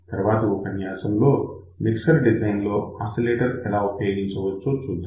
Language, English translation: Telugu, In the next lecture, we will see application of oscillator for the design of mixer